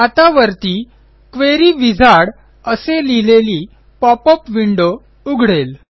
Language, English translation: Marathi, Now, we see a popup window that says Query Wizard on the top